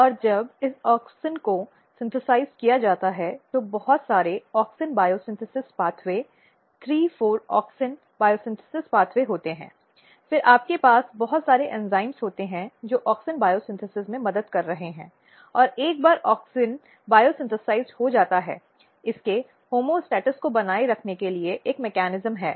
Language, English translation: Hindi, And when this auxin is synthesized, there are lot of auxin bio synthesis pathway 3 4; 4 auxin biosynthesis pathway, then you have lot of enzymes which are helping in auxin biosynthesis and once auxin is biosynthesized there is a mechanism to basically maintain its homeostasis